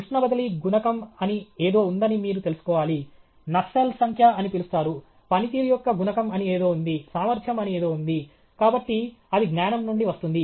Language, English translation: Telugu, You should know there is something called heat transfer coefficient, there is something called nusult number, there is something called coefficient of performance, there is something called efficiency; so, that comes from knowledge